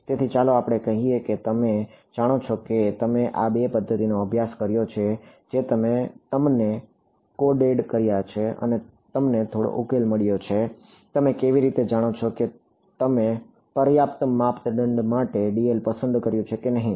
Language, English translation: Gujarati, So, let us say you have you know you studied these two methods you coded them up and you got some solution; how do you know whether you chose a dl to be fine enough or not